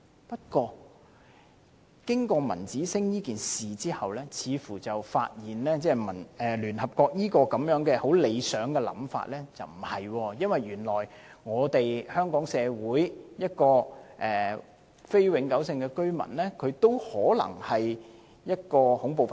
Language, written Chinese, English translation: Cantonese, 不過，經過文子星事件後，我們發現聯合國這個很理想的想法似乎不對，因為原來香港社會一名非永久性居民，也可能是一名恐怖分子。, However after the incident of Ramanjit SINGH we realize that this very idealistic view of the United Nations may be incorrect . We realize that a non - Hong Kong permanent resident may also be a terrorist